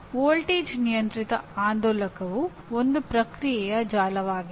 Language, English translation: Kannada, Voltage controlled oscillator is a feedback network